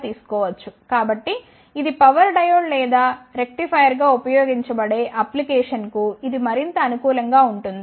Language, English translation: Telugu, So, it is more suitable for the applications like it can be used as a power diode or rectifier